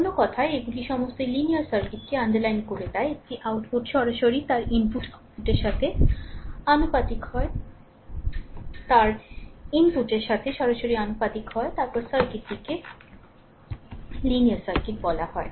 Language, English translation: Bengali, In other words all this are all are underlines a linear circuit is one output is directly proportional to its input right output is directly proportional to its input, then the circuit is called a linear circuit